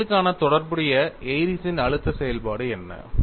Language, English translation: Tamil, And what is the corresponding Airy’s stress function for this problem